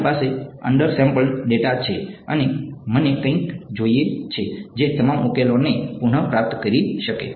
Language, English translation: Gujarati, I have undersampled data and I want something that can recover the solution all right